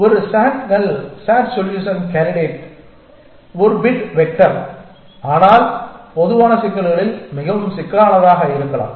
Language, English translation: Tamil, And a sats can sat solution candidate is a bit vector, but in general problems may be more complex